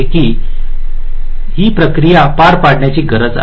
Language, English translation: Marathi, so this is a process we need to carry out